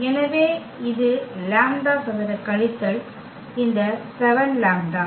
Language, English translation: Tamil, So, this is lambda square minus this 7 lambda